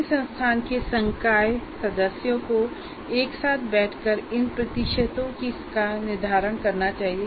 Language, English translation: Hindi, Yes, the faculty of a particular institute should sit together and decide these percentages